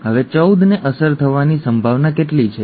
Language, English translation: Gujarati, Now what is the probability that 14 is affected